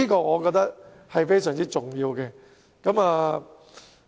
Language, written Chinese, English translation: Cantonese, 我認為這是非常重要的。, I think this is very important